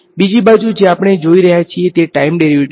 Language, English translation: Gujarati, The other thing that we are looking at is time derivative ok